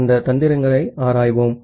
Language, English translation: Tamil, Let us look into those tricks